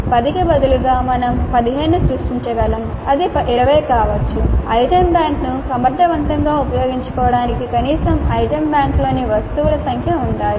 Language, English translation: Telugu, Instead of 10 we could create 15 it could be 20 but at least this much should be the number of items in the item bank in order to make effective use of the item bank